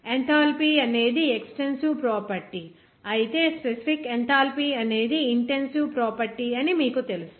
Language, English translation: Telugu, Enthalpy is an extensive property, whereas, you know that is specific enthalpy will be an intensive property